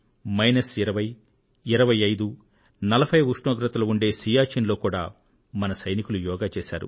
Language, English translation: Telugu, Our soldiers practiced yoga in Siachen where temperatures reach minus 20, 25, 40 degrees